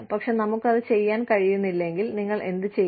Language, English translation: Malayalam, But, if we are not able to do that, then, what do you do